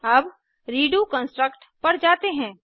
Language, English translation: Hindi, Lets now move on to the redo construct